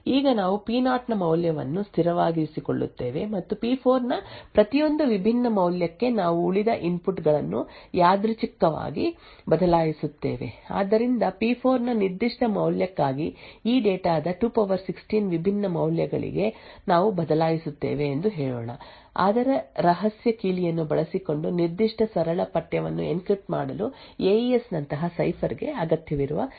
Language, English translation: Kannada, Now we keep the value of P0 as constant and for each different value of P4 we change the remaining inputs randomly, so let us say we change for over like 2^16 different values of this data for a specific value of P4, we measure the execution time required for the cipher like AES to encrypt that particular plaintext using its secret key